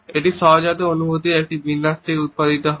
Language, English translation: Bengali, It is produced from an array of instinctual feelings